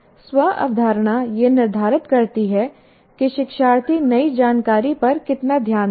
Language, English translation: Hindi, So self concept determines how much attention, learner will give to new information